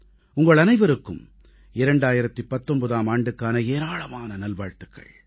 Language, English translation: Tamil, Many good wishes to all of you for the year 2019